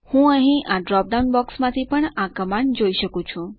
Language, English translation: Gujarati, I can also look up this command from the drop down box here